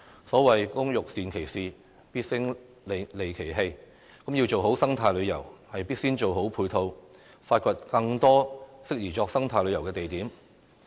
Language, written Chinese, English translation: Cantonese, 所謂"工欲善其事，必先利其器"，要做好生態旅遊，必先做好配套，發掘更多適宜作生態旅遊的地點。, As the saying goes an artisan must first sharpen his tools before he can do a good job . If we want to promote eco - tourism we have to provide the necessary support and explore more suitable eco - tourism spots